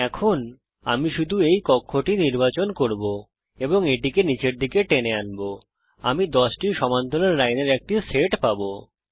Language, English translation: Bengali, Now I can just select this cell and drag it all the way down, I get a set of 10 parallel lines